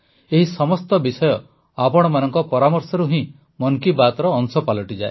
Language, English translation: Odia, All these topics become part of 'Mann Ki Baat' only because of your suggestions